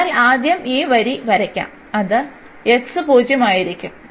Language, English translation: Malayalam, So, let us draw first this line and that will be x 0